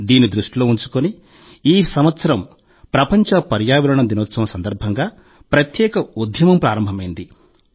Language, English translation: Telugu, Through this thought, a special campaign has been launched on World Environment Day this year